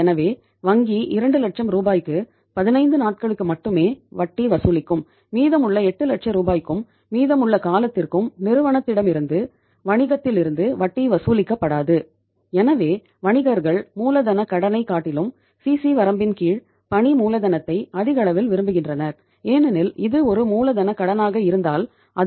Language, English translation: Tamil, So bank will charge interest only on 2 lakh rupees for a period of 15 days and on the remaining 8 lakh rupees and for the remaining period no interest will be charged from the firm, from the business